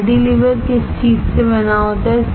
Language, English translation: Hindi, Cantilever is made up of what